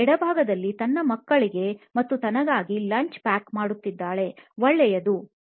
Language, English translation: Kannada, On the left hand side is packing lunch for her kids and for herself which is good, okay